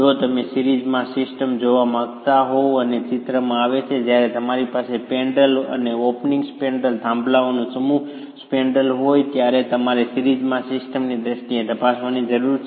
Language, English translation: Gujarati, If you were to look at a system in series and that comes into the picture when you have a spandrel, an opening and a spandrel, a set of peers and a spanrel, you need to examine it in terms of system in series